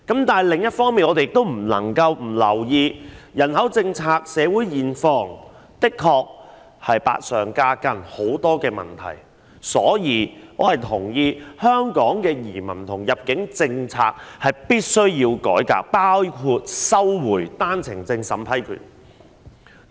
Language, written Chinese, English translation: Cantonese, 但是，另一方面，我們也不能不留意人口政策，因為社會現況的確是百上加斤，有很多問題，所以我同意必須改革香港的移民和入境政策，包括收回單程證審批權。, However population policy is an aspect we cannot neglect because it has indeed created a heavy burden on our community which is already plagued with problems . I therefore concur that there is a need to reform the immigration and admission policies of Hong Kong including taking back the power to vet and approve One - way Permit OWP applications